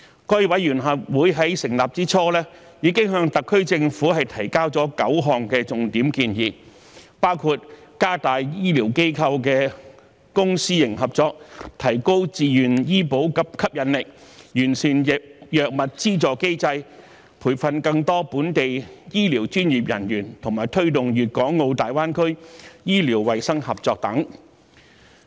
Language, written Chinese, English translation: Cantonese, 該委員會在成立之初已經向特區政府提交9項重點建議，包括加強醫療機構的公私營合作、提高自願醫保計劃的吸引力、完善藥物費用資助機制、培訓更多本地醫療專業人員，以及推動粵港澳大灣區醫療衞生合作等。, In the early days of its inception the Committee had already put forward nine major proposals to the Government . These include strengthening public―private partnership among healthcare institutions making the Voluntary Health Insurance Scheme more attractive improving the mechanism for subsidies on drug costs nurturing more locally trained healthcare professionals and promoting medical and health cooperation within the Guangdong - Hong Kong - Macao Greater Bay Area